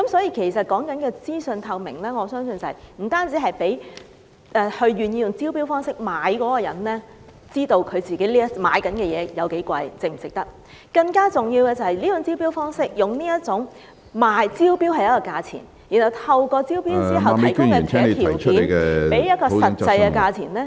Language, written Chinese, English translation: Cantonese, 因此，所謂資訊透明，我相信不僅是讓願意用招標方式購買物業的人知道自己買的物業價錢為何、是否值得，更重要的是，這種招標時賣一個價錢，然後在招標後透過提供其他條件，令買家繳付另一個實際價錢......, In view of this I believe the so - called information transparency is not just designed to let people who are willing to buy properties by way of tender know the prices of the properties bought by them and whether or not they are worth so much more importantly this approach of selling at one price then making purchasers pay another actual price by offering other conditions after tender